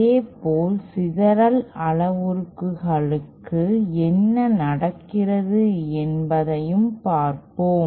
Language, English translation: Tamil, Similarly let us try to see what happens for the scattering parameters